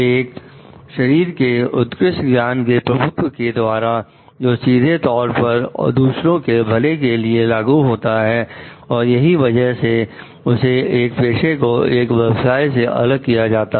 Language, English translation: Hindi, And by the mastery of a body of advanced knowledge; so, which directly beers has an implication on the welfare of others and that it is that which distinguishes a profession from other occupations